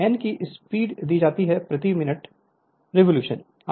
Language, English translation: Hindi, And N that speed is given is rpm revolution per minute